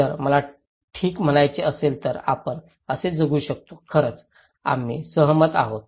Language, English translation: Marathi, If I want to say okay, we can live like this, really we agree